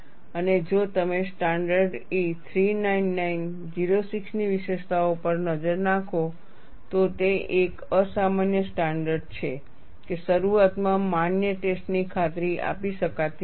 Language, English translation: Gujarati, And if you look at features of standard E 399 06, it is an unusual standard that a valid test cannot be assured at the outset